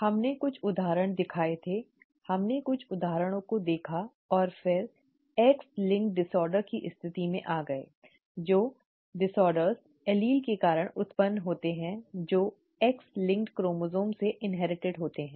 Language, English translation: Hindi, We showed some examples, we looked at some examples and then came to the situation of X linked disorders, the disorders that arise due to alleles that are inherited from X linked chromosomes